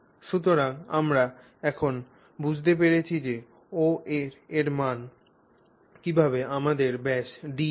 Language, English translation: Bengali, So, we have now understood how OA, how the value OA gives us the diameter D